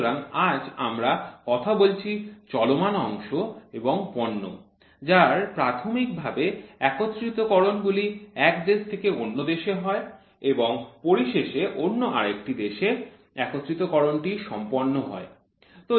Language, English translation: Bengali, So, today we are talking about moving parts and products sub assemblies from one country to another country and assembly happens at some other country